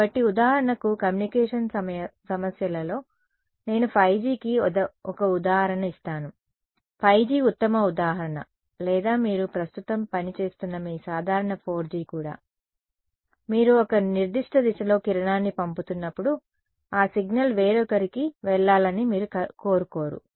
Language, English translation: Telugu, So, in communication problems for example, 5G I will give an example of 5G is the best example or even your regular 4G that you are working with right now; when you are sending a beam to a particular direction you do not want that signal to go to someone else